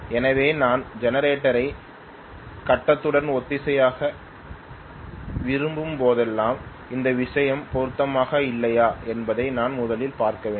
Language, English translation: Tamil, So whenever I want to synchronise the generator with the grid I had to definitely look at this thing first whether they are matching or not